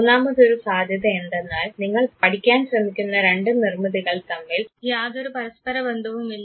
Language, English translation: Malayalam, And the third possibility is that the two construct that you are trying to study they are not at all related to each other